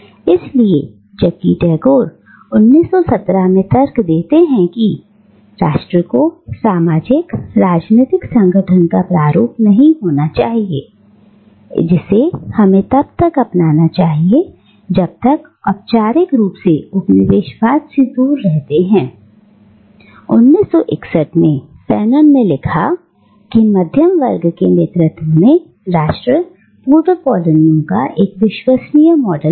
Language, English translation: Hindi, So, whereas Tagore argues in 1917, that nation should not be the model of socio political organisation that we should adopt when we formally do away with colonialism, Fanon writing in 1961, argues that nation under the middle class leadership remains an unworkable model in the ex colonies